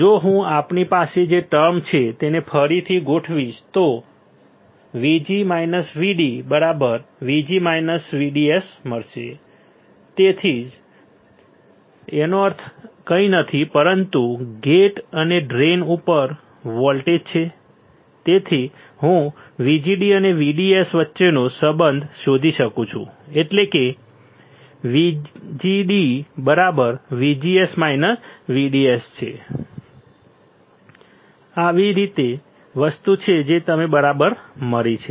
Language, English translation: Gujarati, If I rearrange the term we have VG minus VD is nothing, but 5 VGD right that is way; that means, my voltage at the gate minus voltage at the drain is nothing, but my voltage across gate and drain that is why I can find the relation between VGD and VDS, that is VGD equals to VGS minus VDS this is something that I have found all right